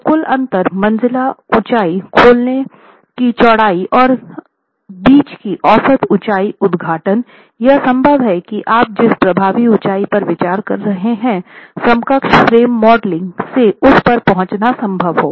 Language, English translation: Hindi, So, from the width of the opening, the total interstory height, and the average height between the openings, it is possible to arrive at what the effective height you should be considering in the equivalent frame modeling